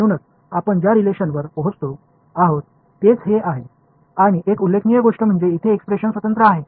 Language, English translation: Marathi, So, this is the relation that we arrive at and the remarkable thing of course is that this expression over here is path independent